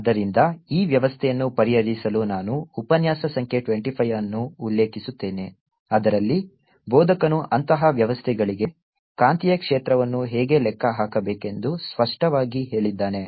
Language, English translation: Kannada, so that for solving this system, ah, i will refer to lecture number twenty five, in which ah instructor has clearly stated how to calculate the magnetic field for such systems